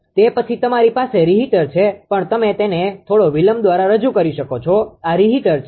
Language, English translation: Gujarati, After that you have a reheater, you have a reheater right here also you can represent it by some delay this is reheater